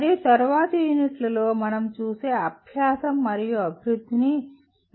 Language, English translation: Telugu, And learning and development as we will see in later units can be looked at 4 levels